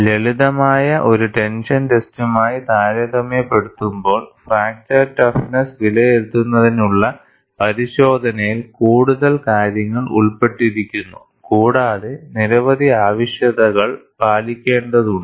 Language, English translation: Malayalam, And if you look at, in comparison to a simple tension test, the test to evaluate fracture toughness is more involved and several requirements have to be met